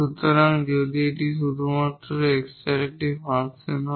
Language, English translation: Bengali, So, if this one is a function of x only